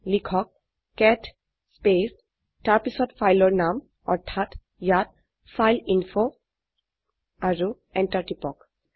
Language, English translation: Assamese, Just type cat space and the name of the file , here it is fileinfo and press enter